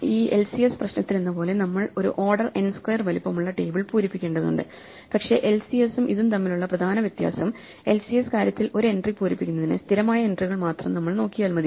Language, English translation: Malayalam, As with this LCS problem, we have to fill an order n squared size table, but the main difference between LCS and this is that in order to fill an entry in the LCS thing we have to look at only a constant number of entries